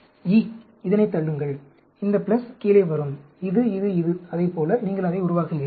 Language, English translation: Tamil, E, push it; this plus will come down, this, this, this; like that you build it up